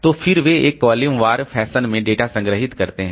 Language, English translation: Hindi, So, then they are the data stored in a column wise fashion